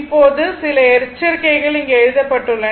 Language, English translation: Tamil, So now some some caution I have written some caution is written here